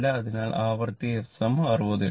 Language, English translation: Malayalam, So, frequency f is your 60 hertz right